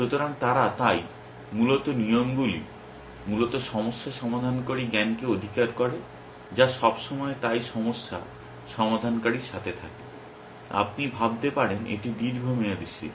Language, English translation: Bengali, So, they, so, basically rules capture the problem solving solver knowledge essentially, which is always there with the problem solver so, you can think of it is long term memory